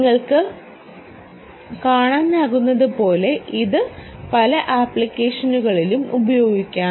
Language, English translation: Malayalam, as you can see, this can be used in many applications where ah one can